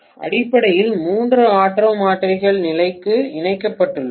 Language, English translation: Tamil, Basically three auto transformers connected to the level